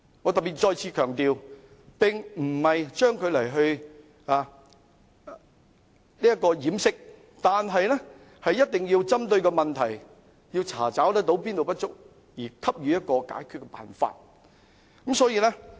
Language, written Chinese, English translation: Cantonese, 我特別再次強調，當局不要將問題掩飾，而一定要針對問題，查找不足之處，並給予解決辦法。, Let me stress once again the authorities should not cover up the problem they must target at the problem identify the deficiencies and provide solutions